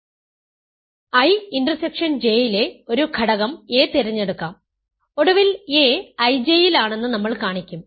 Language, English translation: Malayalam, So, let us choose an element a in I intersection J, we will eventually show that a is in I J ok